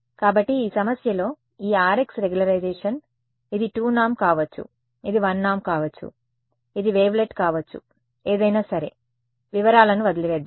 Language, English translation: Telugu, So, in this problem this Rx is the regularization, this can be 2 norm, it can be 1 norm, it can be wavelet something whatever right let us just leave out leave the details out